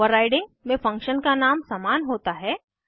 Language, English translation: Hindi, In overriding the function name is same